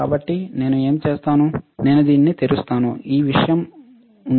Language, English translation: Telugu, So, what I will do is, I will open this right there is this thing